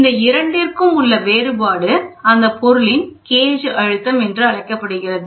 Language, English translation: Tamil, The difference between these two is called gauge system pressure